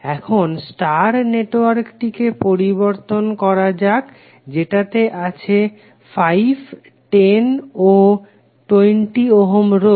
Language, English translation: Bengali, Now let us convert the star network comprising of 5, 10 and 20 ohm resistors